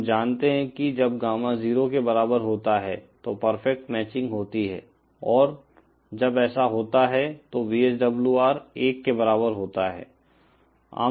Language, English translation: Hindi, We know that when Gamma is equal to 0, there is perfect matching and when that happens, VSWR is equal to 1